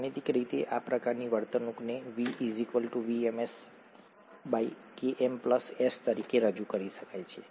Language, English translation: Gujarati, Mathematically, this kind of behaviour can be represented as V equals to some VmS by Km plus S